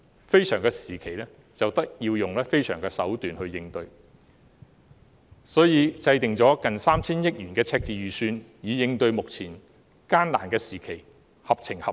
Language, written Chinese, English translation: Cantonese, 非常時期便要用非常手段來應對，所以制訂了接近 3,000 億元的赤字預算，以應對目前艱難的時期，實屬合情合理。, Extraordinary measures are needed to cope with exceptional circumstances . For this reason a budget deficit nearing 300 billion was formulated to cope with the present plight . It is indeed reasonable